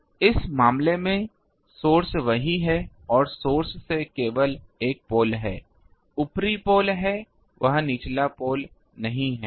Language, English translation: Hindi, So, in this case the source is there and from the source, there is only a single pole the upper pole is there the lower pole is not there